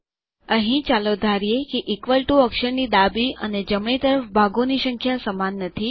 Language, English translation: Gujarati, Here let us suppose that we dont have equal number of parts on the left and the right of the equal to character